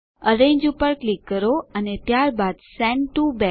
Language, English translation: Gujarati, Click on Arrange and then Send to back